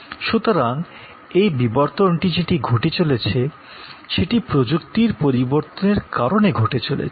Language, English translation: Bengali, So, this evolution that is taking place is taking place due to technology changes